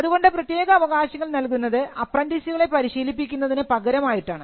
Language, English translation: Malayalam, So, the privilege would be given in return of training to apprentices